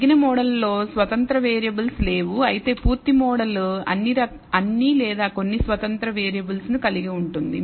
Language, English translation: Telugu, The reduced model contains no independent variables whereas, the full model can contain all or some of the independent variables